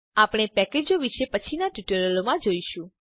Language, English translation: Gujarati, We will learn about packages in the later tutorials